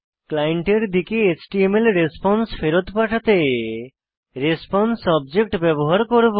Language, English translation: Bengali, We will use the response object to send the HTML response back to the client side